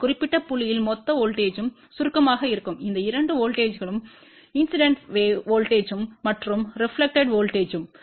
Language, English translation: Tamil, And so what will be the total voltage total voltage at this particular point will be summation of these two voltages which is incident voltage and reflected voltage